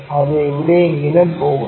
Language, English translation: Malayalam, It goes somewhere